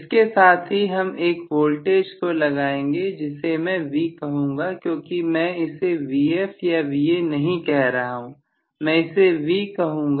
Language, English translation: Hindi, So along with this I am going to now apply a voltage which I may call that as V because I cannot call it as Vf or Va, I am calling that as V, okay